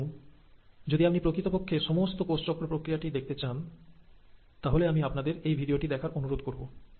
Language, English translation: Bengali, And if you really want to visualize the whole process of cell cycle in an animation, I will recommend you to go through this video